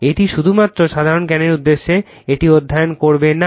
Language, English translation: Bengali, This is just for purpose of general knowledge will not study that